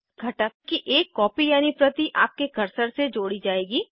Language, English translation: Hindi, A copy of the component will be tied to your cursor